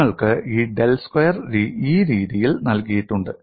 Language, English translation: Malayalam, Also you have this del square, is given in this fashion